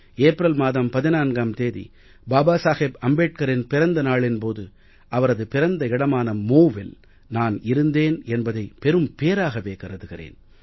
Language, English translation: Tamil, It was my good fortune that on 14th April, the birth anniversary of Babasaheb Ambedkar, I got the opportunity to visit his birthplace Mhow and pay my respects at that sacred place